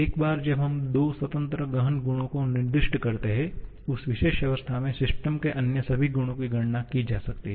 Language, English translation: Hindi, That is once we specify two independent intensive properties; all other properties of the system at that particular state can be calculated